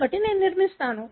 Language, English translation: Telugu, So, I construct